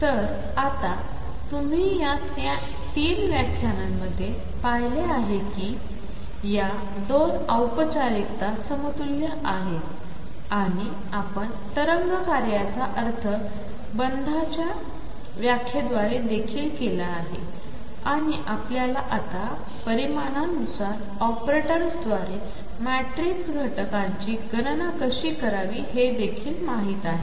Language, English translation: Marathi, So now, you shown in these three lectures that the 2 formalisms are equivalent and we have also interpreted the wave function through bonds interpretation; and we have also now know how to calculate the matrix elements through operators for the corresponding quantities